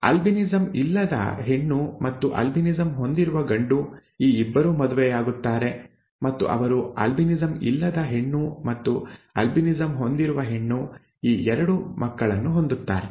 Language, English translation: Kannada, A female without albinism, a male with albinism, a male with albinism and a male without albinism, and these 2 marry and they produce 2 children, a female without albinism and a female with albinism, okay